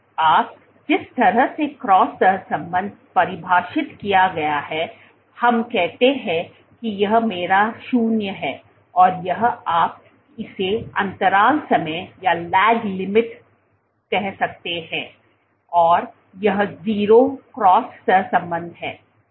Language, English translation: Hindi, Now the way cross correlation is defined, let us say this is my 0, and this is my 0, this is 0 or you can say lag time lag time and this is 0 cross correlation